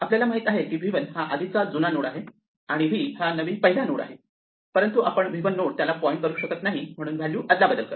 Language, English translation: Marathi, So, we know now that v 1 is the old first node and v is a new first node, but we cannot make l point to the new first node, so we exchange the values